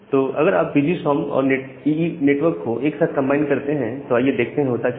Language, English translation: Hindi, So, if you combine VGSOM and EE network together, let us see what happens